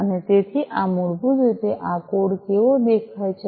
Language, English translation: Gujarati, And so so this is basically how this code looks like